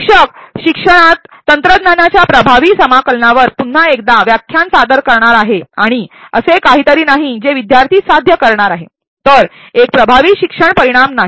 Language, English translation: Marathi, Once again lecture on effective integration of technology in education is something that the instructor is going to perform and not something that the student is going to achieve thus it is not an effective learning outcome